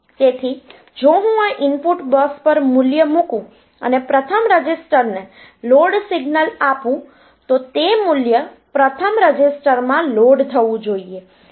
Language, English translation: Gujarati, So, if I put a value on to this input bus and give load signal to the first register, then the value should be loaded into the first register